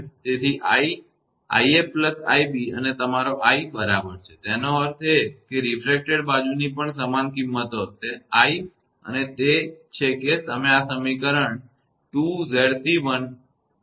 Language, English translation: Gujarati, So, the i; i f plus i b and your i i is equal to; that means, that refracted side also will have the same magnitude i and that is you are getting from this equation 2 Z c 1; upon Z c 1 plus Z c 1 into i f; this equation